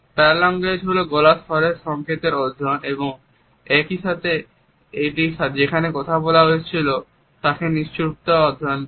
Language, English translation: Bengali, Paralanguage is studies the voice codes and at the same time it also studies the silences in those places, where the words should have been spoken